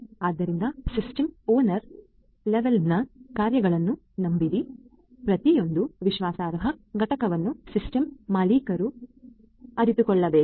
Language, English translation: Kannada, So, trust functionalities at the system owner level; every trust component has to be realized by the system owner